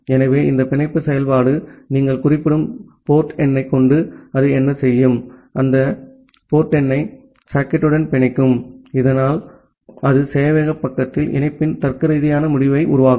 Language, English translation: Tamil, So, this bind function, what it will do that with the port number that you are specifying it will bind that port number with the socket, so that way it will create a logical end of the connection at the server side